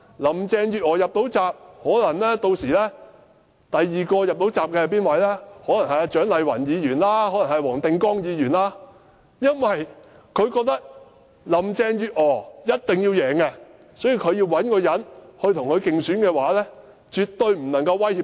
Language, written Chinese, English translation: Cantonese, 林鄭月娥能夠"入閘"，屆時第二位能夠"入閘"的，可能是蔣麗芸議員或黃定光議員，因為中央覺得林鄭月娥一定要勝出，所以絕對不能找一些能夠威脅她的人跟她競爭。, After Carrie LAM becomes a valid Chief Executive candidate Dr CHIANG Lai - wan or Mr WONG Ting - kwong can be the next candidate because the Central Authorities do not want the other candidates to compete with Carrie LAM to ensure her sure win